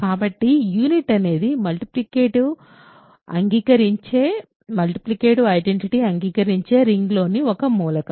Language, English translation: Telugu, So, unit is an element in a ring which admits a multiplicative identity